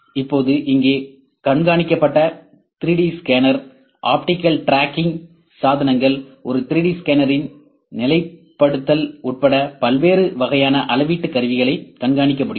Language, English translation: Tamil, Now, tracked 3D scanner here optical tracking devices can track various types of measurement tools including positioning of a 3D scanner